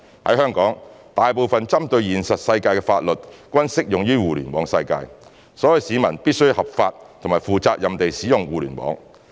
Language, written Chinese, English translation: Cantonese, 在香港，大部分針對現實世界的法律，均適用於互聯網世界，所以市民必須合法及負責任地使用互聯網。, In Hong Kong most of the laws targeting crime prevention in the real world apply also in the cyber world of the Internet . Therefore the public should use the Internet lawfully and properly